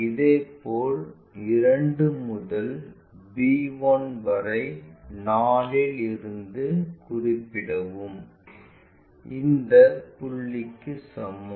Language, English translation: Tamil, Similarly, from 2 to b 1 that is equal to from 4 transfer that this is the point